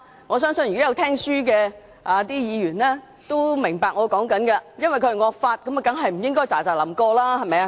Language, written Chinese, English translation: Cantonese, 我相信細心聆聽的議員均會明白，因為是惡法，當然不應該匆匆通過。, I believe Members who have listened attentively will understand that we certainly should not expeditiously pass the draconian law